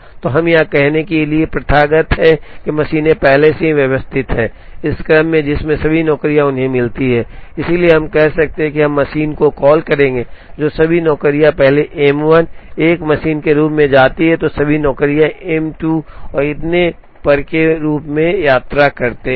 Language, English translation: Hindi, So, we it is customary to say that the machines are already arranged, in the order, in which all the jobs visit them, so we could say, we would call the machine, which all the jobs visit first as M 1, a machine which all the jobs visit second as M 2 and so on